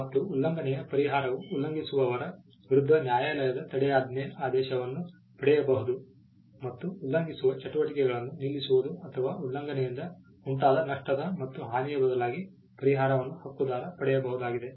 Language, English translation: Kannada, The relief of infringement can be injunction getting a court order against the infringer and stopping the activities the infringing activities or it could also be damages pertains to compensation in lieu of the loss suffered by the infringement